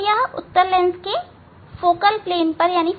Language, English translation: Hindi, Now, so they will meet on the focal plane of this lens